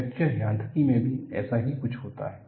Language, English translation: Hindi, Something very similar to that happens in fracture mechanics also